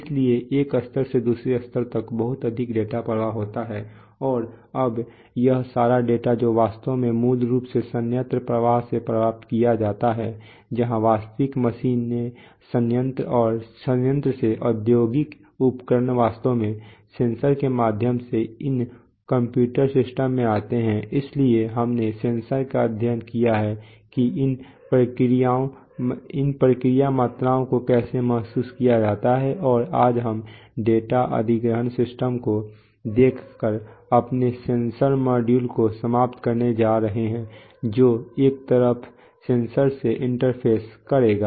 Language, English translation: Hindi, So there is a lot of dataflow from one level to the other, right and now all this data which is actually basically acquired from the plant flow where the, where the actual machines are from the plants, from the, from the, from the industrial equipment they are, they actually get into these computer systems through the sensors, so we have studied sensors that how these process quantities are sensed and today we are going to end our sensor module by looking at the data acquisition systems which will interface to the sensor on one side